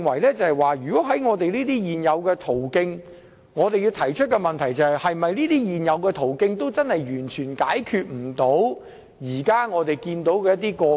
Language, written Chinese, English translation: Cantonese, 因此，我認為在這些現有途徑下，我們應該提出的問題是現有途徑是否完全無法解決現時所見的個案？, Therefore under these existing channels I think what we should do is to examine whether such channels have completely failed to tackle the issues identified